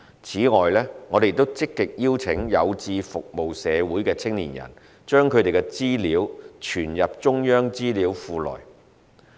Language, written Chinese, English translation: Cantonese, 此外，我們亦積極邀請有志服務社會的青年人把他們的資料存入中央資料庫內。, Moreover we have also been actively inviting young people who are passionate about serving the community to retain their personal particulars in the Central Personality Index CPI database